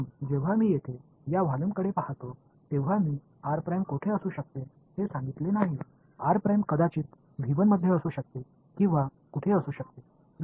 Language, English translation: Marathi, So, when I look at this volume over here I have not told you where r prime is r prime could either be in v 1 or it could be where